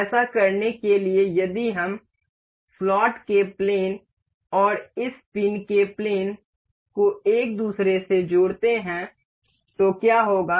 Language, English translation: Hindi, To do this what if we select coincide the plane of the slot and the plane of this pin to each other